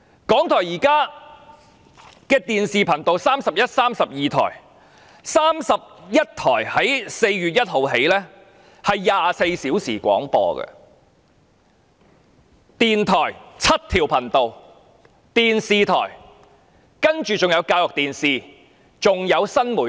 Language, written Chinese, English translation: Cantonese, 港台現時的電視頻道有31及32台 ，31 台更自4月1日起提供24小時廣播，電台則有7條頻道，還有教育電視及新媒體。, From 1 April onwards Channel 31 will provide 24 - hour broadcasting . As for the radio station there are seven channels . RTHK is also running the school television programme and new media